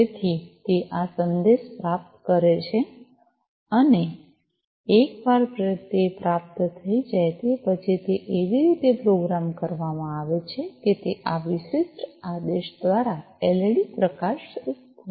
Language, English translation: Gujarati, So, it receives this message, and once it has received it is programmed in such a way that it is going to glow that led through this particular command high, right